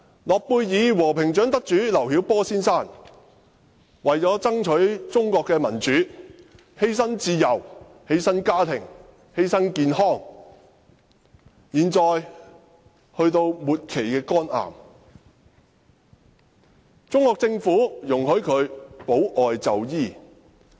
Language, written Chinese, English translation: Cantonese, 諾貝爾和平獎得主劉曉波先生，為了爭取中國的民主而犧牲自由、家庭和健康，他現在身患末期肝癌，中國政府容許他保外就醫。, Nobel Peace Prize laureate Mr LIU Xiaobo has sacrificed his freedom family and health to strive for democracy in China . He is now suffering from terminal liver cancer and the Chinese Government has approved his application for medical parole